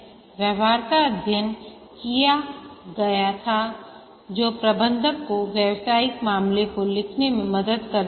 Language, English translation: Hindi, The feasibility study once it is undertaken helps the manager to write the business case